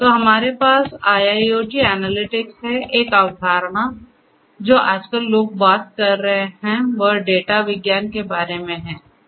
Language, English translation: Hindi, So, so, we have IIoT analytics; the concept nowadays you know people are talking about data science, right